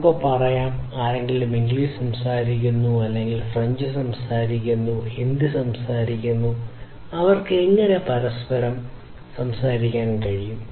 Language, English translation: Malayalam, Let us say, that somebody speaks you know analogously that somebody speaks English, somebody speaks French, somebody speaks Hindi; how they can talk to each other